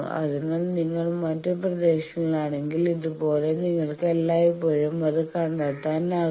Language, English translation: Malayalam, So, like that if you are in other regions you can always find that